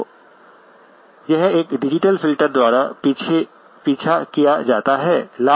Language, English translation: Hindi, So this then is followed by a digital filter